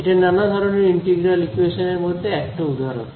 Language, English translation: Bengali, So, this is just one example of many types of integral equations